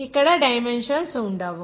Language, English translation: Telugu, There will be no dimensions here